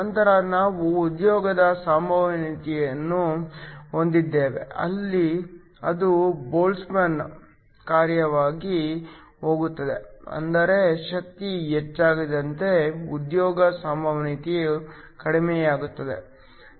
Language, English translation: Kannada, Then we have the occupation probability, we said that goes as a Boltzmann function, which means as the energy increases, the occupation probability decreases